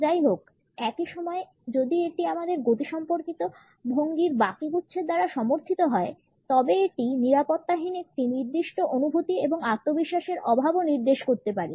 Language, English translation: Bengali, However, at the same time if it is supported by the rest of the clustering of our kinesics postures it can also indicate a certain sense of insecurity and lack of self confidence